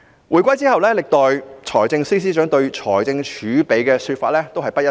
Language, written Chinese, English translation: Cantonese, 回歸之後，歷代財政司司長對財政儲備的說法皆不一致。, After the reunification all former Financial Secretaries have different interpretations about the fiscal reserves